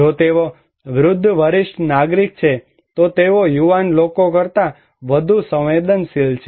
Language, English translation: Gujarati, If they are old senior citizen, they are more vulnerable than young people